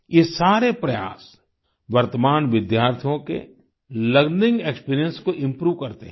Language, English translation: Hindi, All of these endeavors improve the learning experience of the current students